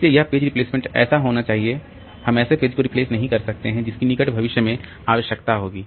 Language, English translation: Hindi, So, this page replacement should be such that we are not replacing a page which is which will be required in near future